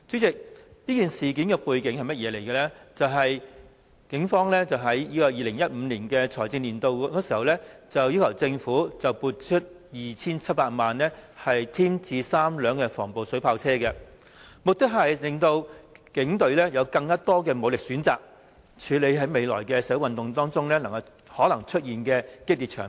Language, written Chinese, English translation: Cantonese, 警方於 2015-2016 財政年度，要求政府撥出 2,700 萬元添置3輛防暴水炮車，目的是增強警隊的武力，以處理未來社會運動中可能出現的激烈場面。, In the 2015 - 2016 financial year the Police sought a government funding of 27 million to purchase three anti - riot water cannon vehicles with the purpose of strengthening the force of the Police in handling violent scenes that might take place in future social movements